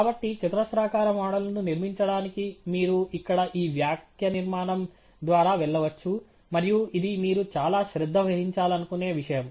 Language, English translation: Telugu, So, to build a quadratic model, you can go through this syntax here, and this is something that you may want to pay closer attention to